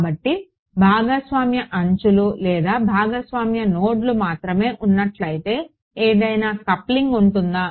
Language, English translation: Telugu, So, only if there are shared edges or shared nodes is there any coupling